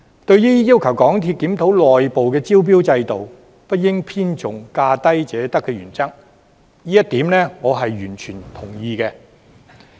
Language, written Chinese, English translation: Cantonese, 對於要求港鐵公司檢討內部招標制度，不應偏重價低者得的原則，這一點我是完全同意的。, In regard to asking MTRCL to review the criteria of its internal tendering system and not to overemphasize the principle of the lowest bid wins I totally agree with this proposal